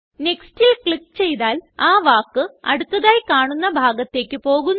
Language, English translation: Malayalam, Clicking on Next will move the focus to the next instance of the word